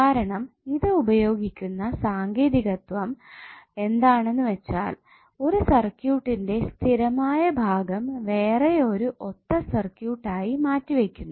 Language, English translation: Malayalam, Because it provides a technique by which the fixed part of the circuit is replaced by its equivalent circuit